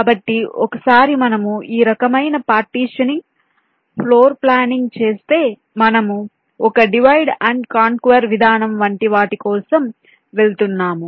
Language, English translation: Telugu, so once we do this kind of partitioning, floor planning, we are going for something like a divide and conquer approach